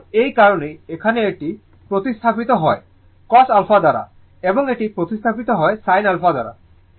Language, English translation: Bengali, So, that is why here this one is replaced by cos alpha and this one is replaced by sin alpha, right